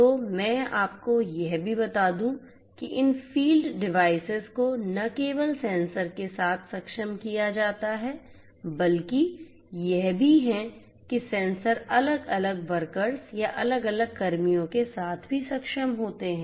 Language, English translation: Hindi, So, let me also tell you that not only this field devices are enabled with the sensors, but these are also you know the sensors are also enabled with the different workers, or the different personnel that are involved